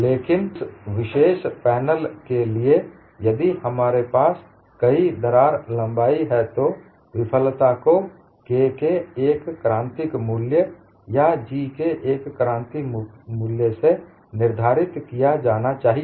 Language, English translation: Hindi, That is a separate aspect, but for that particular panel, if I have several crack lengths, the failure also should be dictated by one critical value of K or one critical value of G